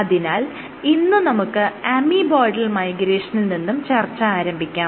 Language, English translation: Malayalam, So, today we will start discussing amoeboidal migration